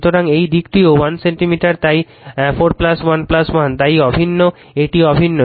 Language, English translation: Bengali, So, this side also 1 centimeter so, 4 plus 1 plus 1 right, so uniform it is uniform